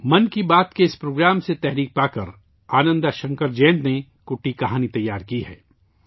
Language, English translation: Urdu, Inspired by that program of 'Mann Ki Baat', Ananda Shankar Jayant has prepared 'Kutti Kahani'